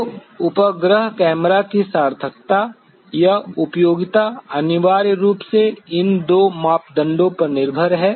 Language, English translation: Hindi, So, the utility or the usefulness of the satellite camera is essentially dependent on these two parameters